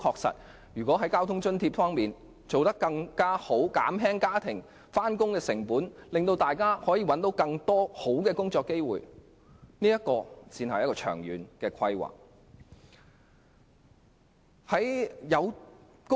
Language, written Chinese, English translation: Cantonese, 在交通津貼方面作出改善，減輕市民的上班成本，令大家能有更多更好的工作機會，才是長遠規劃。, If transport subsidies are increased to reduce the cost of travelling to and from work people will have more and better job opportunities . This is what we call long - term planning